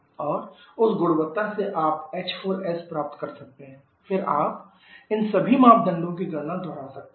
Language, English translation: Hindi, You can get the h4s, then you can repeat the calculation of all these parameters